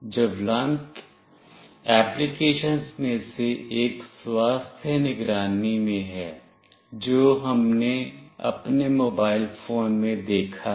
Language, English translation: Hindi, One of the burning applications is in health monitoring that we have seen in our mobile phones